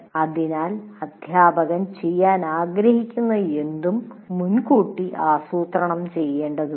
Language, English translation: Malayalam, So, anything a teacher wants to do, it has to be planned in advance